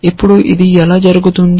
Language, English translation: Telugu, Now, how does that happen